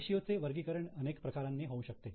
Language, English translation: Marathi, Now, ratios can be classified in variety of ways